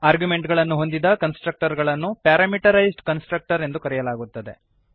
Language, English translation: Kannada, The constructor that has arguments is called parameterized constructor